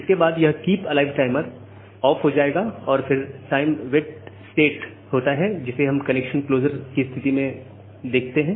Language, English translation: Hindi, So, after this Keepalive timer it will go off and then the time wait state which we have seen in case of connection closure